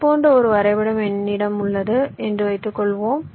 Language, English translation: Tamil, suppose i have a graph like this